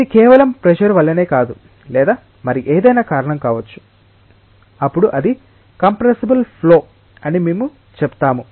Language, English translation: Telugu, It need not be just due to pressure or it may be because of anything then we say that is a compressible flow